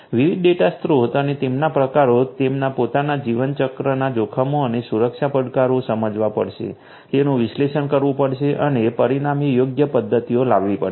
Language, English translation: Gujarati, Different data sources and types with their own lifecycle risks and security challenges will have to be understood, will have to be analyzed and suitable mechanisms consequently will have to be brought in place